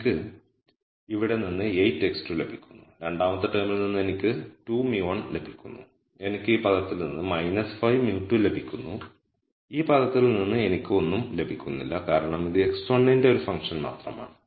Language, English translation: Malayalam, So, I get 8 x 2 from this here and from the second term I get 2 mu 1, I get minus 5 mu 2 from this term and from this term I get nothing because it is only a function of x 1